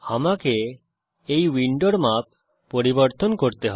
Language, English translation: Bengali, Let me resize this window